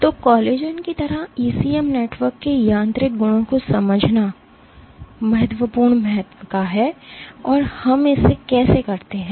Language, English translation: Hindi, So, understanding the mechanical properties of ECM networks like that of collagen is of key importance, how do we go about doing this